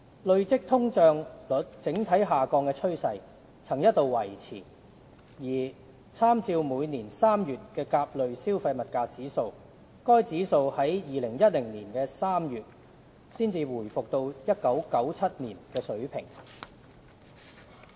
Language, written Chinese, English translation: Cantonese, 累積通脹率整體下降的趨勢曾一度維持，而參照每年3月的甲類消費物價指數，該指數在2010年3月才回復到1997年的水平。, The overall downward trend in the cumulative inflation rate had continued and by making reference to the indices in March of each year the Consumer Price Index A CPIA returned to the 1997 level only by March 2010